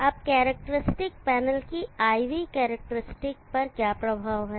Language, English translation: Hindi, Now what is the effect on the characteristic IV characteristic of the panel